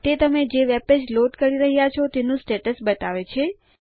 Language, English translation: Gujarati, It shows you the status of the loading of that webpage